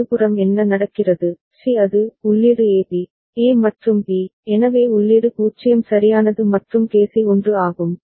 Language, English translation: Tamil, What happens to C right, C it is input is AB, A AND B, so the input is 0 right and KC is 1